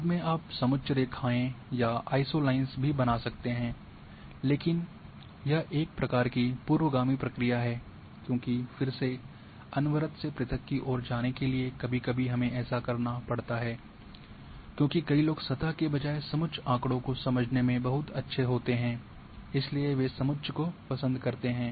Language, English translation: Hindi, You can later on you can also create contour lines or isolines, but it is sort of backward process because again from going for continuous to discrete, but sometimes we have to do it because many people are very good to understand contour data rather than surface, so they would prefer the contours